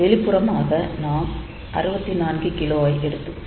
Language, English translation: Tamil, So, externally we connect 64K